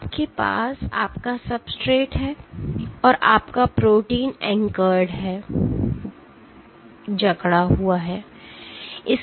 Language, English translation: Hindi, So, you have your substrate and your protein is anchored right